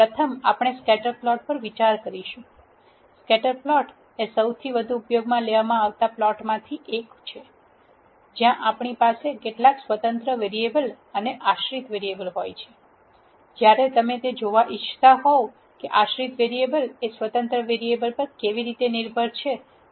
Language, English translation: Gujarati, First we will consider scatter plot; scatter plot is one of the most widely used plots where we have some independent variable and dependent variable, when you want to see how a dependent variable is dependent on the independent variable